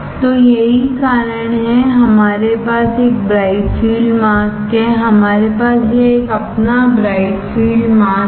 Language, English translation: Hindi, So, that is why we have a bright field mask; we have our this one is your bright field mask